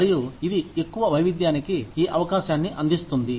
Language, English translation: Telugu, And, it provides an opportunity for greater diversity